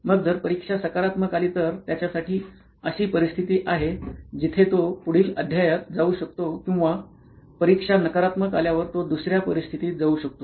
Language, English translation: Marathi, Then if the test comes out positive then it is a situation for him where he can move on to a next chapter or in another situation where the test is negative